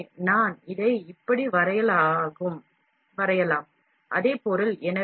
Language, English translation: Tamil, So, the same thing I can draw it like this, same material